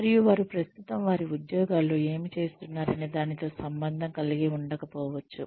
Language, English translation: Telugu, And, it may or may not be related to, what they are currently doing in their jobs